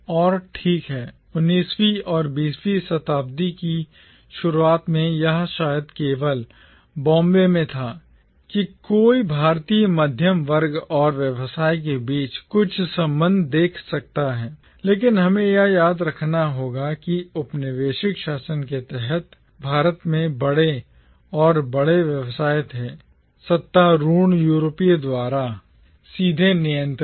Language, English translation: Hindi, And, well, during the 19th and early 20th century, it was perhaps only in Bombay that one could see some connection between the Indian middle class and business but we will need to remember that by and large big business in India under the colonial governance was directly controlled by the ruling Europeans